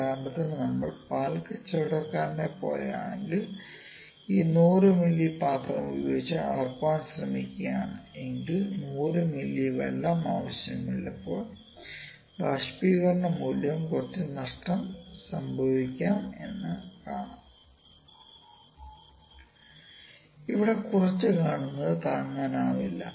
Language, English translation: Malayalam, So, instance if we are a like milk vendor is trying to measure using this 100 ml jar or if you are doing some experiments when it we will be need 100 ml of water and we even consider evaporation of might happen some evaporation might happen all the losses are there